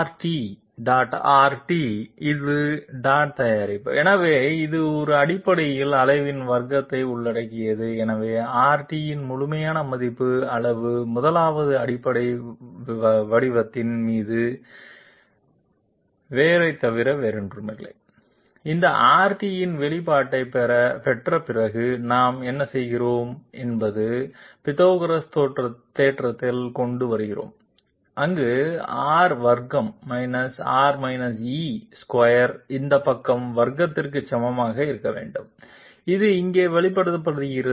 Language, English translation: Tamil, So that R t the this is the dot product, so it basically it involves the square of the magnitude therefore, the absolute value magnitude of R t is nothing but root over 1st fundamental form and after getting an expression of this R t, what we do is we bring in Pythagoras theorem where R square R e square must be equal to this side square, this is expressed here